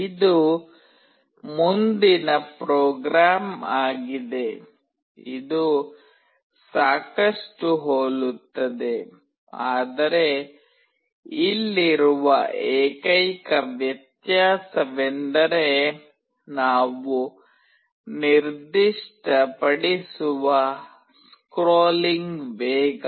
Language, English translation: Kannada, This is the next program, which is fairly similar, but the only difference being here is that the scrolling speed we are specifying